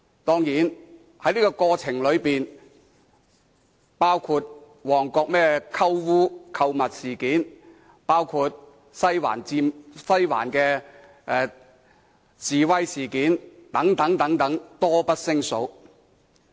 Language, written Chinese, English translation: Cantonese, 當然，在這個過程中，還發生包括旺角"鳩嗚"事件、西環的示威事件等，多不勝數。, Obviously in the interim there were also the shopping tour protests in Mong Kok demonstrations in the Western District and so on . These incidents abounded